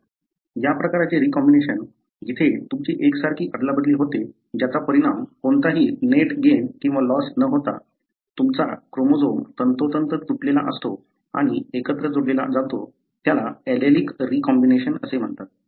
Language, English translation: Marathi, So, this kind of recombination, where you have identicalexchange resulting inwithout any net gain or loss, you have precisely the chromosome broken and joined together, it is called as allelic recombination